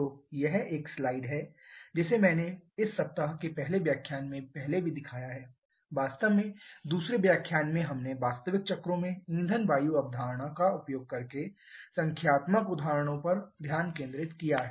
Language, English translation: Hindi, So, this is one slide that I have shown earlier also in the very first lecture of this week actually in the second lecture we just focused on the numerical examples of using the fuel air concept in real cycles